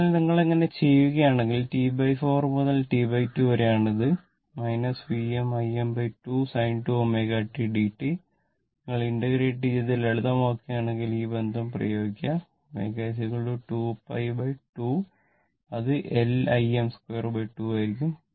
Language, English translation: Malayalam, Therefore, if you do, so, if we do, so, the T by 4 to T by 2 and it is minus minus V m I m by 2 sin 2 omega t dt, if you integrate and simplify use this relationship omega is equal to 2 pi by 2, it will be simply half L I m square